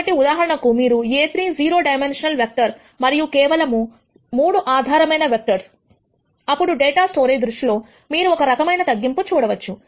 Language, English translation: Telugu, So, for example, if you have a 30 dimensional vector and the basis vectors are just 3, then you can see the kind of reduction that you will get in terms of data storage